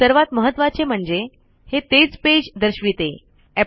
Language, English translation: Marathi, More importantly, it shows the same page